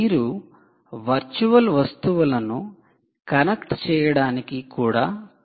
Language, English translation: Telugu, you could actually be even trying to connect virtual objects, right